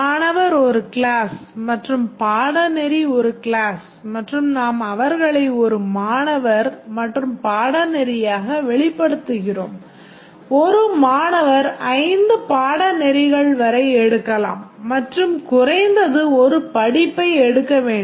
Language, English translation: Tamil, Student is a class and course is a class and we course, a student can take up to five courses and need to at least take one course